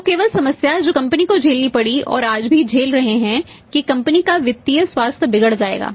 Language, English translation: Hindi, So, only problem to the company which the company even faced and facing even today is that the company's financial health will get this deteriorated